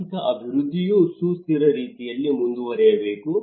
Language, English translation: Kannada, That economic development should proceed in a sustainable manner